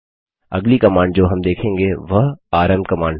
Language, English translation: Hindi, The next command we will see is the rm command